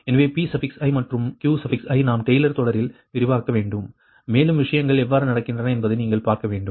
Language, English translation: Tamil, so pi and qi, we have to expand in taylor series and you have to see that how things are happening, right